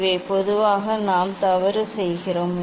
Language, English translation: Tamil, these also generally we do mistake